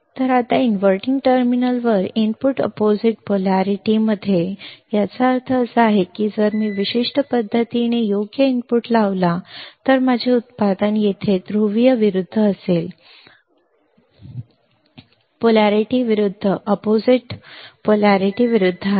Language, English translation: Marathi, Now, input at the inverting terminal is in opposite polarity that means if I apply a input in this particular fashion right, my output my output here will be opposite polarity, polarity is opposite right